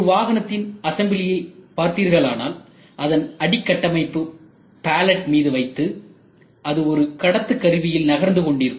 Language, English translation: Tamil, If you look at the complete assembly of a car, you see that the under body is kept on a pallet and this is moving in a conveyor